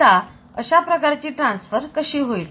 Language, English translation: Marathi, Now, so this type of transfer so how this can happen